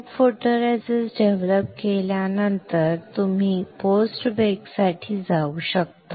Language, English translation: Marathi, Then after developing photoresist you can go for post bake